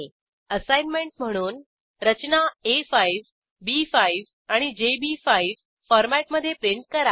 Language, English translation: Marathi, As an assignment Print the structures in A5, B5 and JB5 formats